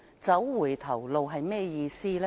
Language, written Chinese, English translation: Cantonese, 走回頭路是甚麼意思呢？, What do I mean by backtracking?